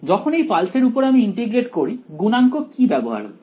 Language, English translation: Bengali, When I integrate over this pulse what is the coefficient involved